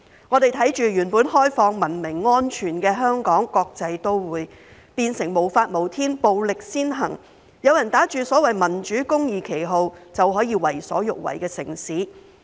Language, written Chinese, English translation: Cantonese, 我們看着原本開放、文明、安全的香港國際都會，變成無法無天、暴力先行，有人打着所謂民主公義的旗號，便可以為所欲為的城市。, We have seen Hong Kong being turned from an open civilized and safe cosmopolitan city into a lawless and violent city where people can do whatever they want under the banner of so - called democracy and justice